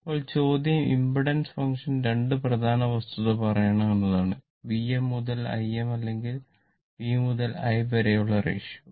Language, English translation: Malayalam, Now, question is that impedance function must tell 2 important fact; the ratio of V m to I m or V to I